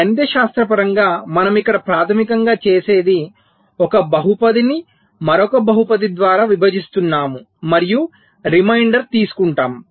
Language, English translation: Telugu, mathematically, what we do here is basically we are dividing a polynomial by another polynomial and take the reminder